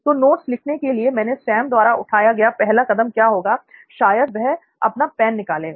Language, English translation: Hindi, So what would be the first step Sam would be doing while taking down notes, probably take out his pen